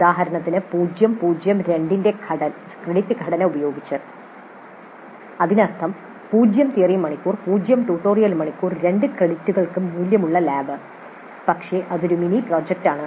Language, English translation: Malayalam, For example with a credit structure of 0 0 0 2 that means 0 3 hours, 0 tutorial hours, 2 credits worth but that is a mini project